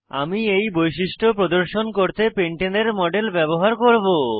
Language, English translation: Bengali, I will use a model of pentane to demonstrate this feature